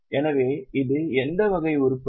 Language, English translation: Tamil, So, it is what type of item